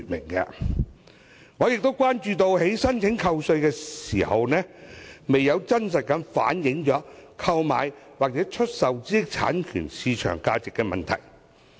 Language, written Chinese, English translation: Cantonese, 我也關注另一問題，就是申請扣稅時，申請人可能未有真實反映所購買或出售的知識產權的市場價值。, Another concern of mine is that people applying for tax deduction may not be truthful about the market transaction values of the intellectual property rights concerned